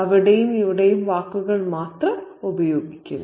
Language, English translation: Malayalam, Instead, he uses only words here and there